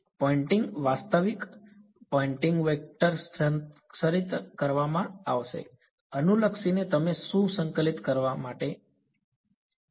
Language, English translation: Gujarati, The Poynting actual Poynting vector will be conserved regardless of what you choose to integrate ok